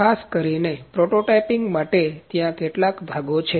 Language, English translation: Gujarati, Specifically for the prototyping, there are certain components